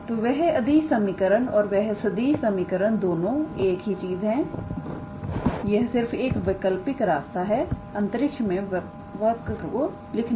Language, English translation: Hindi, So, that scalar equation and that vector equation both are the same thing it is just that its an alternative way to write the same curve in space